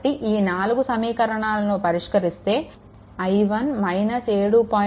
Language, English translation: Telugu, So, from that we can find out what is i 1